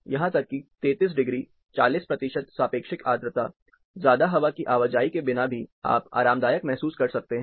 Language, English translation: Hindi, Even 33 degrees, 40 percent relative humidity, without much of air movement, you can still be comfortably warm